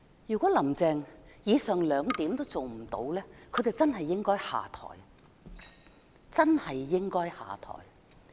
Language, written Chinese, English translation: Cantonese, 如果"林鄭"連上述兩點也未能做到，她便應該下台，真的應該下台。, If Carrie LAM fails to accomplish even the aforesaid two points she should step down . She should really do so